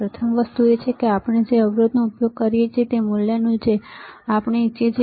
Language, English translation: Gujarati, First thing is, that whether the resistor we are using is of the value that we want